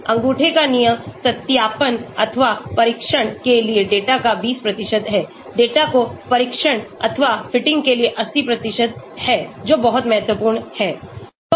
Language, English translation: Hindi, The rule of thumb is 20% of the data for validation or test, 80% for training or fitting the data that is very important